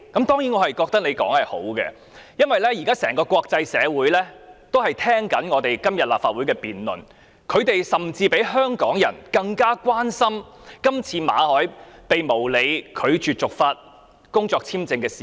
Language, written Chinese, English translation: Cantonese, 當然，我覺得他發言是好的，因為國際社會都在聆聽今天立法會的辯論，他們甚至比香港人更關心馬凱被無理拒絕續發工作簽證的事件。, Of course I think it is good for him to speak because the international community is listening to this debate of the Legislative Council today . They are more concerned than Hong Kong people about the Governments refusal to renew for no reason the work visa of Victor MALLET